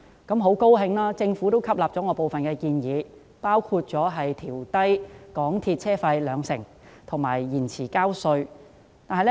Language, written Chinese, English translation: Cantonese, 我很高興，政府吸納了我提出的部分建議，包括調低港鐵公司車費兩成及延長繳交稅款的限期。, I am very pleased that the Government has adopted some of my proposals including reducing MTRCL fares by 20 % and extending the deadline for tax payments